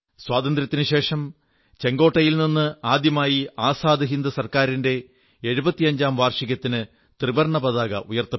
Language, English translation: Malayalam, After Independence, for the first time ever, the tricolor was hoisted at Red Fort on the 75th anniversary of the formation of the Azad Hind Government